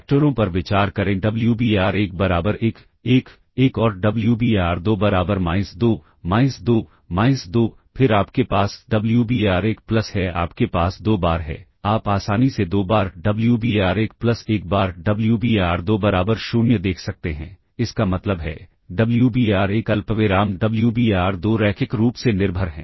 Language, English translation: Hindi, Consider the vectors Wbar1 equals 1, 1, 1 and Wbar2 equals minus 2, minus 2, minus 2, then you have Wbar1 plus you have two times, you can easily see two times Wbar1 plus one times Wbar2 equal 0; implies, Wbar1 comma Wbar2 are linearly dependent